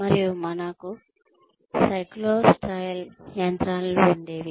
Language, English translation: Telugu, And, we used to have the cyclostyle machines